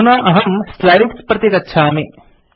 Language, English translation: Sanskrit, Let me go back to the slides now